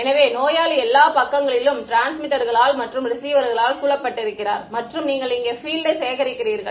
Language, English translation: Tamil, So, patient is surrounded on all sides by transmitters and receivers and you collect the field over here